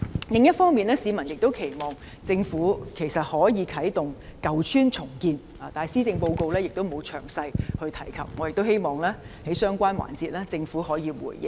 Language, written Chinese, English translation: Cantonese, 另一方面，市民亦期望政府可以啟動舊邨重建，但施政報告並無詳細提及，我亦希望在相關環節，政府可以回應。, In the meanwhile the public also hopes that the Government can start the redevelopment of ageing estates . However the Policy Address has not mentioned this in detail . I also hope that the Government will respond to this in the relevant debate session